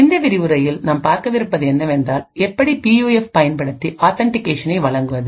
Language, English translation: Tamil, In this lecture we will be looking at the use of PUFs to provide authentication